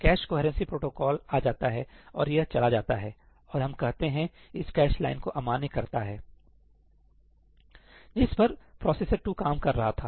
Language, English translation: Hindi, The cache coherency protocol kicks in, and it goes and, let us say, invalidates this cache line, which processor 2 was working on